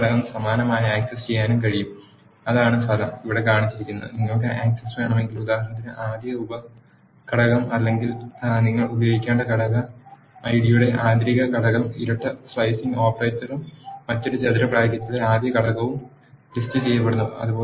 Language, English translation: Malayalam, The second component can also be similarly accessed that is the result is shown here and if you want access, for example, the first sub element or the inner component of the component ID you have to use emp dot list the double slicing operator and the first element in the another square bracket